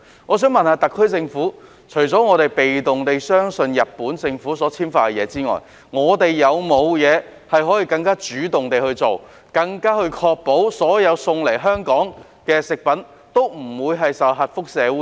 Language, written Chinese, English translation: Cantonese, 我想問特區政府，除了被動地相信日本政府所簽發的證明書外，可否採取更主動地確保所有運送到香港的食品皆不免受核輻射污染？, I would like to ask the SAR Government Apart from passively believing in the certificates issued by the Japanese Government can it take more proactive action to ensure that all food products transported to Hong Kong are free from nuclear radiation contamination?